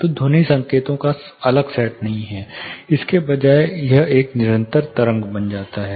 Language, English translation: Hindi, So, sound is not a direct you know distinct set of signals, rather it becomes a continuous wave form